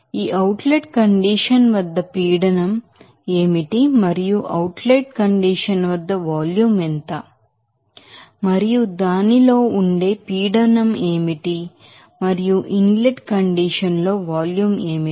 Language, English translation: Telugu, What is the pressure at that outlet condition and what will be the volume at that outlet condition and what is the pressure in it inlet condition and what the volume in the inlet condition